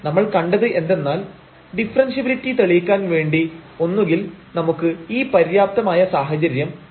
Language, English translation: Malayalam, So, what we have seen that to prove the differentiability either we can use the sufficient condition